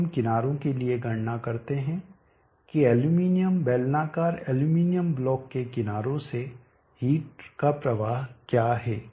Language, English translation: Hindi, So now let us calculate what is the heat flow out of the sides of the aluminum block